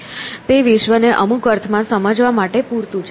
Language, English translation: Gujarati, So, that is enough to understand the world in some sense